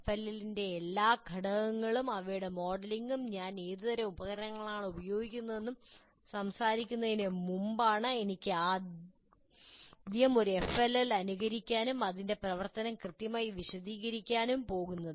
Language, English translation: Malayalam, That is, before I talk about FLL, in terms of all its elements, their modeling, and what kind of devices that I use, even before that, I can first simulate an FLL and explain its function what exactly happens